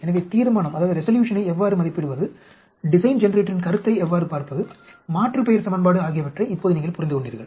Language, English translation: Tamil, So, now you understood what is how to estimate resolution and how to look at the concept of the design generator, the aliasing equation